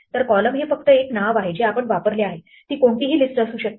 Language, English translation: Marathi, So columns is just a name that we have used, it could be any list